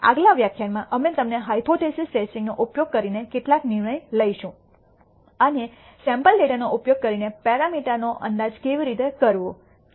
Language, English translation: Gujarati, In the next lecture we will take you through some decision making using hypothesis testing and how to perform estimation of parameters using sample data